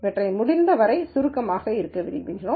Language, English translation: Tamil, We would like to keep these as compact as possible